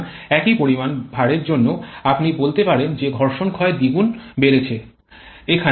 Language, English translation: Bengali, So, for the same amount of load there you can say that the friction loss has increased to double